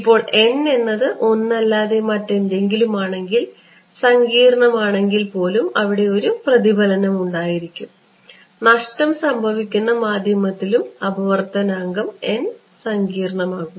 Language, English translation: Malayalam, Now, if n is anything other than 1 there is a reflection even if it is complex right for losing medium the reflective index n becomes complex